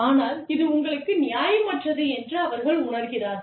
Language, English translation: Tamil, But, they feel that, this is unfair for them